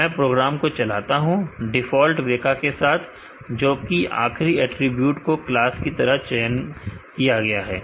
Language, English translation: Hindi, Let me run the program by default WEKA chooses a last attribute as the class